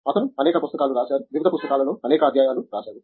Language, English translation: Telugu, He has written several books, several chapters in various books